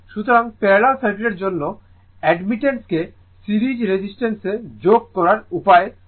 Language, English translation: Bengali, So, for parallel circuit Admittance has to be added the way you add resistance in series